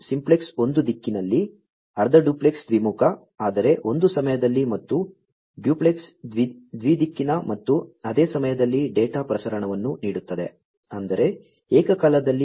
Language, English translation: Kannada, Simplex offers data transmission in one direction, half duplex bidirectional, but one at a time and duplex bi directional and at the same time; that means, simultaneously